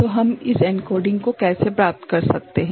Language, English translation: Hindi, So, how we can get this encoding done